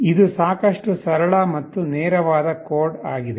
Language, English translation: Kannada, This is the code that is fairly simple and straightforward